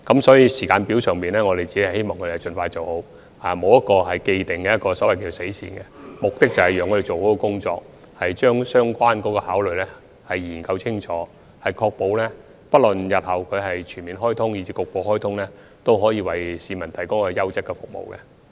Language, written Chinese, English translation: Cantonese, 所以，在時間表上，我們只希望港鐵公司盡快完成研究，並沒有一個既定的所謂"死線"，目的是把工作做好，把相關的考慮因素研究清楚，確保日後不論是局部或全面開通，都可以為市民提供優質的服務。, Therefore in terms of the timetable we only hope that MTRCL can finish the study as soon as possible . There is not a so - called deadline as the target is to get the job done properly and study in detail the related factors of consideration with a view to providing quality service to the public regardless of partial or full commissioning of SCL in future